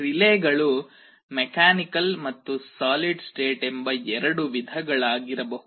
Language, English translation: Kannada, Relays can be of two types, mechanical and solid state